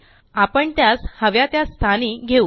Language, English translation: Marathi, Now we will move them to the desired location